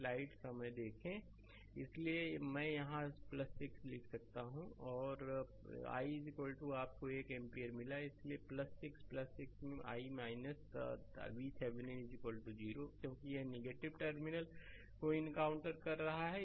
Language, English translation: Hindi, So, I can write here plus 6 right and i is equal to you got 1 ampere right; so, plus 6 plus 6 into i minus V Thevenin is equal to 0 because it is encountering negative terminal passed